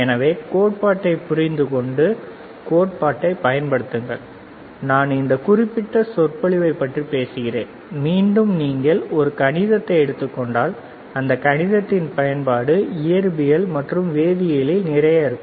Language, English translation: Tamil, So, use theory understand theory, I am talking about this particular lecture, again, right it depends on if you if you take a mathematics, right, again if you see mathematics also there is a lot of application of mathematics lot of application of physics lot of application of chemistry, right